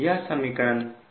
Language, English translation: Hindi, this is equation